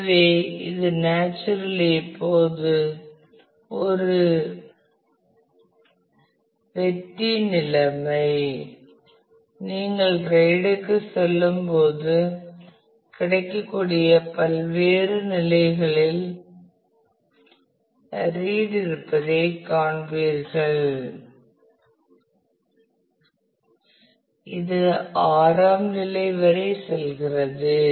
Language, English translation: Tamil, So, it is a win win situation now naturally when you go for RAID you will find that there are different levels of read that are available today goes up to level 6 right